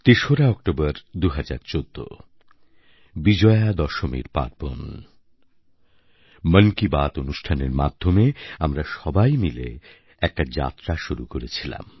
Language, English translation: Bengali, On the 3rd of October, 2014, the pious occasion of Vijayadashmi, we embarked upon a journey together through the medium of 'Mann Ki Baat'